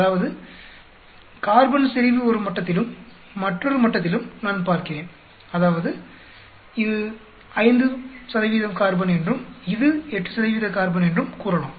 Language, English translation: Tamil, That means, I am looking at say, carbon concentration at one level and another level; that means, it could be say 5 % carbon and this could be 8 % carbon